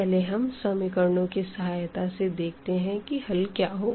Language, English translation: Hindi, So, first let us see with the equations how to get the solution now